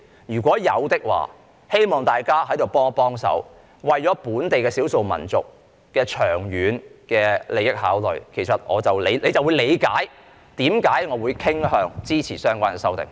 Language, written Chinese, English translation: Cantonese, 如有，希望大家在此幫幫忙，為了本地少數民族的長遠利益作出考慮，大家就會理解為何我會傾向支持相關的修訂。, If so I hope that everybody can lend a helping hand by considering the long - term interests of the local ethnic minorities and then everybody will understand why I am inclined to support the relevant amendments